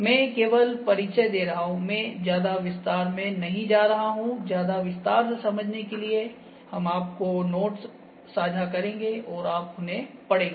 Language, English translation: Hindi, I am just introducing, I am not getting into details, for details we will share you the notes and you would read them